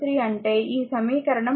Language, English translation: Telugu, So, equation 3 that is 2